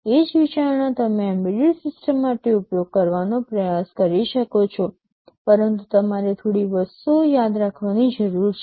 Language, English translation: Gujarati, The same consideration you can try to use for an embedded system, but there are a few things you need to remember